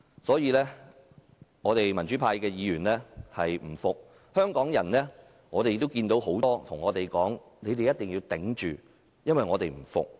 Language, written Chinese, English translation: Cantonese, 所以，民主派議員不服氣，也有很多香港人叫我們撐住，因為他們也不服氣。, This is why pro - democracy Members feel disgruntled and many Hong Kong people ask us to hang on as they also feel disgruntled